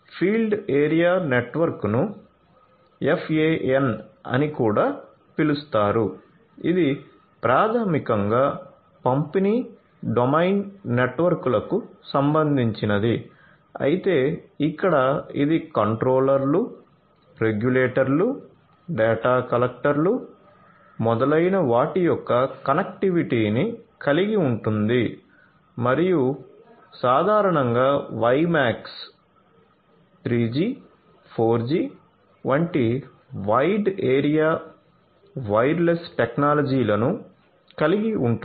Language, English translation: Telugu, Field area network also known as FAN, this basically concerns you know distribution domain networks as well, but here it includes the connectivity of the controllers, the regulators, the data collectors, etcetera and typically wide area wireless technologies such as WiMAX, 3G, 4G, etcetera are used and for wired ethernet is also used